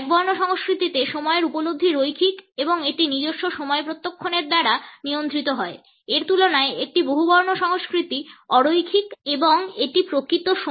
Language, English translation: Bengali, A monochronic understanding of time is linear and it is governed by our clock in comparison to it, a polychronic culture is a non linear one and it is more oriented towards time